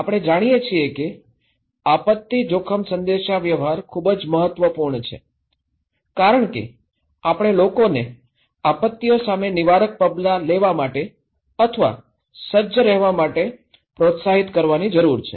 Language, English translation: Gujarati, We know that disaster risk communication is very important because we need to motivate people to take preventive actions or preparedness against disasters